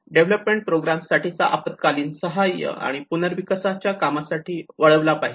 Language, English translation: Marathi, Divert funds for development programmes to emergency assistance and recovery